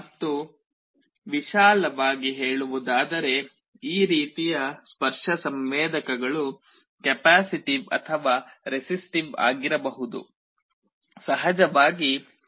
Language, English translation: Kannada, And broadly speaking this kind of touch sensors can be either capacitive or resistive